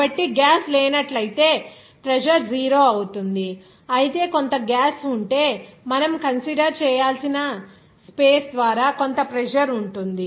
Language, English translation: Telugu, So, if there is no gas is present, the pressure will be 0, whereas if some gas will be there, there may be some pressure will be exerted by that space there that you have to consider